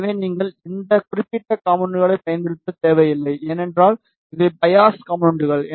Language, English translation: Tamil, So, you need not to use this particular component, because these are the biasing components